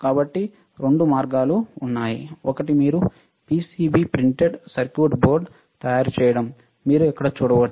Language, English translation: Telugu, So, there are two ways, one is you make a PCB printed circuit board, you can see here in this one, right